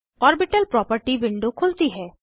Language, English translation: Hindi, Orbital property window opens